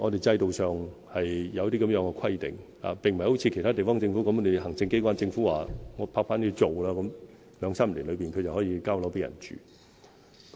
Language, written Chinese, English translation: Cantonese, 制度上是有這樣的規定，並不像其他地方政府那樣，行政機關及政府拍板後，兩三年內就有樓宇落成讓人們居住。, These are the requirements under our system . In some other governments after a project has been approved by the executive authorities and the government flats will be built in two or three years for occupation